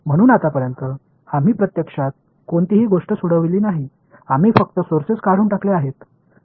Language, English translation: Marathi, So, so far we have not actually solved anything we have just eliminated sources